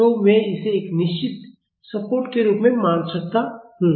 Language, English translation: Hindi, So, I can assume it as a fixed support